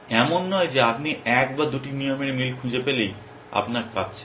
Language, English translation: Bengali, It is not that you are if you find one or two rules match you are done